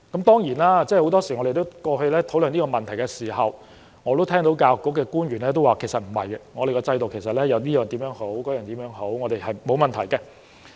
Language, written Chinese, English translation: Cantonese, 當然，很多時候，我們過去討論這問題時，我也會聽到教育局官員答覆說：不是的，我們的制度有很多好處，是沒有問題的。, Of course in past discussion on this issue we often heard public officers of the Education Bureau deny this as true . They said that the system has many merits and has no problem